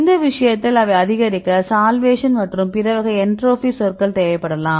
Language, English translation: Tamil, In this case they may it increase, require the solvation as well as the other types of entropy terms thats missing